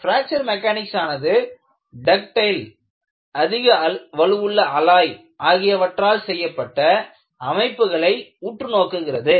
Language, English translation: Tamil, The whole of Fracture Mechanics focuses on structures made of ductile, high strength alloys